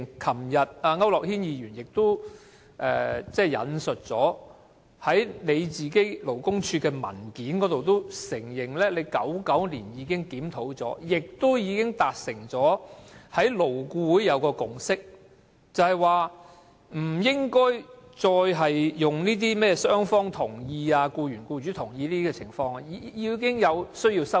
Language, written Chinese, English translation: Cantonese, 區諾軒議員昨天亦表示，勞工處在文件中承認曾在1999年進行檢討，並已在勞工顧問委員會達成共識，不再建基於甚麼"雙方同意"、"僱員、僱主同意"等情況，同時有需要作出修訂。, As Mr AU Nok - hin said yesterday the Labour Department admitted in a paper that it reviewed the Ordinance in 1999 and a consensus was reached in the Labour Advisory Board LAB such that agreement by both sides or agreement by the employer and the employee was no longer required and amendments should be made